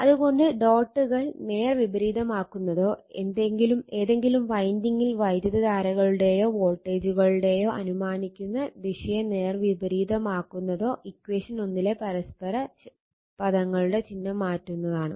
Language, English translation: Malayalam, So, that is why that is why reversing the dots or reversing the assumed direction of current right or voltages in either winding will change the sign of mutual your terms in equation 1